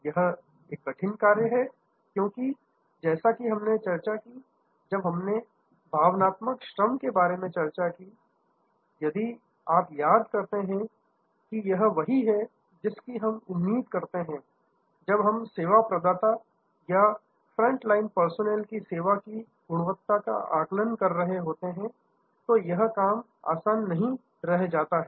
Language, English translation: Hindi, This is a tough call, because as we discussed, when we discussed about emotional labour, if you recall that though this is what we expect, when we are assessing quality of a service, for the service provider, front line personnel, this is not an easy task